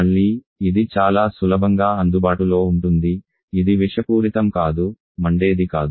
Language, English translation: Telugu, Again it is very easily available It is non toxic non flammable